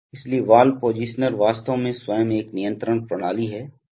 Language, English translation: Hindi, So valve positioner is actually itself a control system